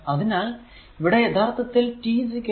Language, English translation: Malayalam, So, at t is equal to 0